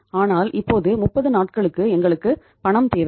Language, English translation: Tamil, But we need money now for a period of 30 days